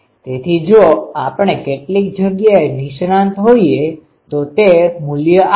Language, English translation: Gujarati, So, if we specialize in some places it gives a value